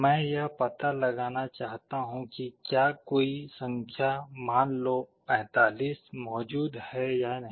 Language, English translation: Hindi, I want to find out whether a number, let us say 45, is present or not